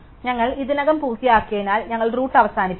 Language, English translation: Malayalam, And since we already finish to we will end of that the root